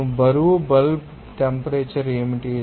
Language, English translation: Telugu, What do we the weight bulb temperature